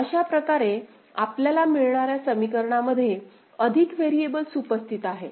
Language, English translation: Marathi, So, that way the equations that you get, has got more variables, more literals present in the equation ok